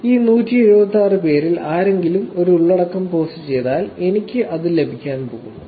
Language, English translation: Malayalam, It is if any of these 176 people post a content I am actually going to get that